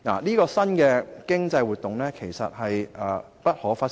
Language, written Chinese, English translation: Cantonese, 這項新的經濟活動是不可忽視的。, This new economic activity is not to be underestimated